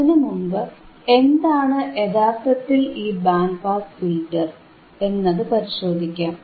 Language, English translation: Malayalam, Let us first see what exactly the band pass filter is, right